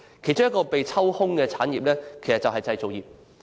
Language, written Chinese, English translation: Cantonese, 其中一個被抽空的行業正是製造業。, One of the badly hit industries is the manufacturing industry